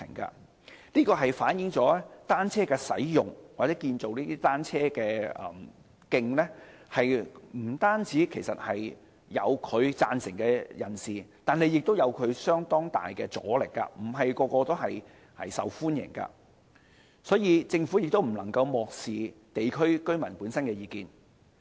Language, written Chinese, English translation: Cantonese, 這反映了單車的使用或建造單車徑不單有人贊成，亦有相當大的阻力，並非每個項目均受到市民歡迎，所以政府不能漠視地區居民的意見。, This reflects that the use of bicycles or the construction of cycle tracks will attract both support and strong resistance and that not every project will be welcomed by the public . Hence the Government must not turn a blind eye to the views of local residents